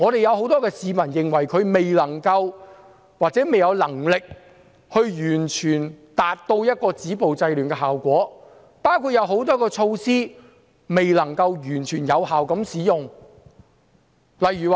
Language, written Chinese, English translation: Cantonese, 有很多市民認為她未能或未有能力完全達到止暴制亂的效果，包括很多措施未能完全有效地使用。, Many citizens think that she has failed or is unable to fully achieve the effects of stopping violence and curbing disorder including many measures that have not been fully taken effectively